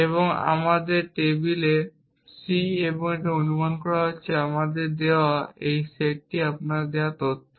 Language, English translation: Bengali, And let us on table c and being a supposing given to you this is a set of facts given to you